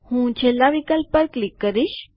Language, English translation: Gujarati, I will click on the last option